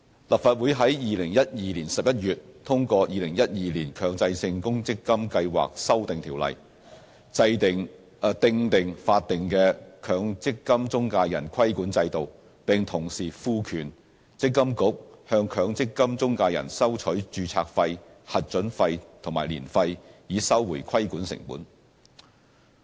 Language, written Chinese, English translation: Cantonese, 立法會於2012年11月通過《2012年強制性公積金計劃條例》，訂定法定的強積金中介人規管制度，並同時賦權積金局向強積金中介人收取註冊費、核准費和年費，以收回規管成本。, In November 2012 the Legislative Council passed the Mandatory Provident Fund Schemes Amendment Ordinance 2012 to provide for the statutory regulatory regime for MPF intermediaries and empower MPFA to recover the regulatory costs by charging MPF intermediaries registration approval and annual fees MPF - i fees